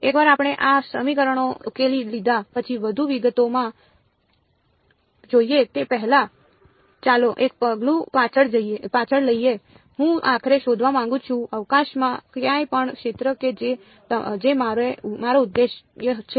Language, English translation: Gujarati, Let us take one more step back before we go into more details once we have solved these equations I want to find out finally, the field anywhere in space that is my objective